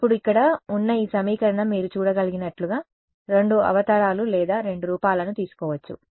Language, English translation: Telugu, Now, this equation over here has can take two avatars or two forms as you can see